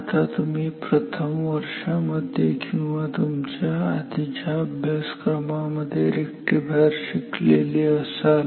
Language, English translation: Marathi, Now, rectifier you may already have studied rectifiers in your first year or maybe in your earlier courses, but let us recall it ok